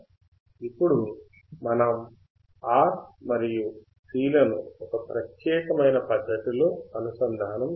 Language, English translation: Telugu, Now we have to connect the R and C in this particular fashion